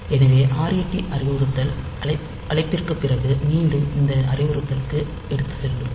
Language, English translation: Tamil, So, ret instruction will take it back to this that instruction just after the call